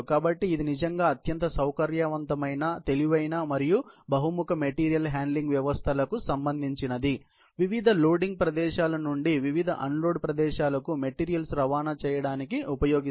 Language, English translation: Telugu, So, it belongs really to a class of highly flexible intelligent and versatile material handling systems, used to transport materials from various loading locations to various unloading locations, throughout a facility